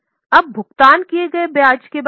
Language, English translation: Hindi, Now about interest paid